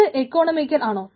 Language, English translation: Malayalam, so it is economic